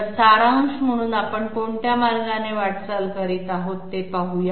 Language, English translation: Marathi, So to sum up let us have a quick look at the way in which we are moving